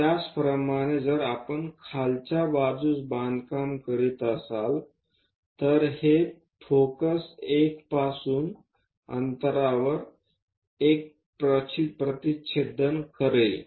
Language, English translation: Marathi, Similarly, if we are constructing on the bottom side, this is one distance from focus intersect 1